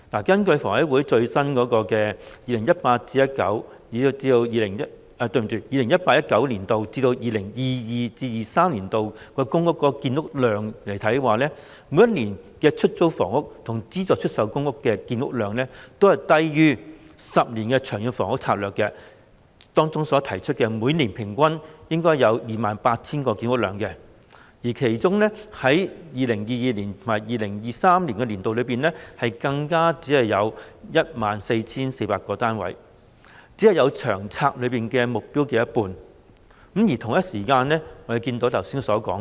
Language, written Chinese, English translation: Cantonese, 根據香港房屋委員會最新的 2018-2019 年度至 2022-2023 年度的公營房屋建設計劃數字，每一年度的出租公屋及資助出售公屋的建屋量，均低於《長遠房屋策略》中未來10年期每年公營房屋建屋量的平均數 28,000 個單位，其中 2022-2023 年度總建屋量，更只有 14,400 個單位，僅及《長策》目標的一半。, According to the latest forecasts of the Hong Kong Housing Authority HAs Public Housing Construction Programme PHCP for the period 2018 - 2019 to 2022 - 2023 the production of public rental housing PRH units and subsidized sale flats SSFs each year is less than the average annual public housing production of 28 000 units for the ten - year period in the Long Term Housing Strategy LTHS with the total production for 2022 - 2023 being only 14 400 units attaining just half of the LTHSs target